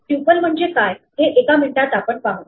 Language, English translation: Marathi, And we will see in a minute what a tuple is